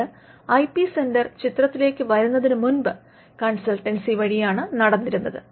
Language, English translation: Malayalam, So, this even before the IP centre came into the picture was done through consultancy